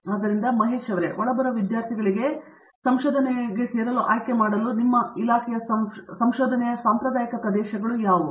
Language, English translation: Kannada, So Mahesh, what are traditional areas of research in your department that incoming students are likely to you know have options to join